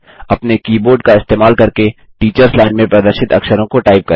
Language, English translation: Hindi, Let us type the character displayed in the teachers line using the keyboard